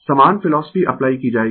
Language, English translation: Hindi, Same philosophy will be applied